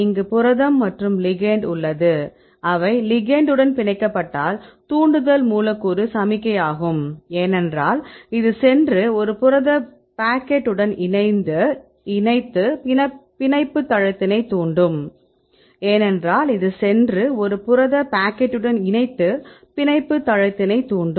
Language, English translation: Tamil, So, you have protein and you have ligand, the if they binds the ligand is usually a signal triggering molecule, because this will go and attach with a pocket in a protein right and this will trigger right at the binding site